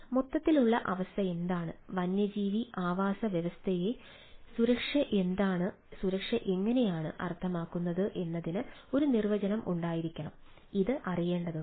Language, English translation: Malayalam, there should be a definition of what is meant by the overall condition, what is the meant by the safety of a wild habitat, and this need to be known